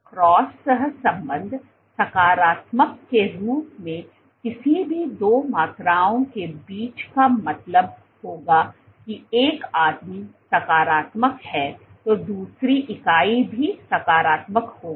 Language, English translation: Hindi, Cross correlation as positive would mean between any two quantities would mean that one guy if is positive the other unit also would be positive